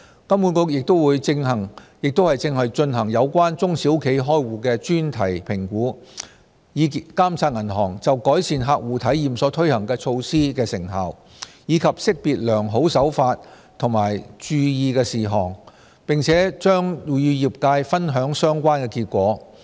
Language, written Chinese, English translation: Cantonese, 金管局亦正進行有關中小企開戶的專題評估，以監察銀行就改善客戶體驗所推行措施的成效，以及識別良好手法及注意事項，並將與業界分享相關結果。, In addition HKMA is conducting a thematic review on bank account opening by small and medium enterprises to monitor the effectiveness of measures taken by banks to enhance client experience and identify good practices and points to note . HKMA will share these results with the trades